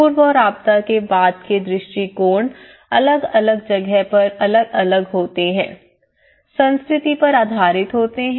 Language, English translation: Hindi, These pre and post disaster approaches they vary with from place to place, culture to culture based on the cultural setup